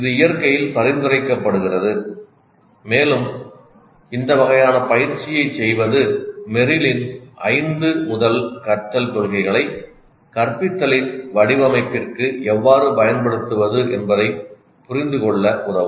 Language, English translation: Tamil, It is prescriptive in nature and doing this kind of an exercise would help us to understand how to use Merrill's five first principles of learning in order to design instruction